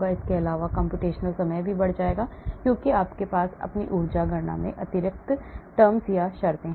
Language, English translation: Hindi, In addition, computational time also will go up because you have extra terms into your energy calculations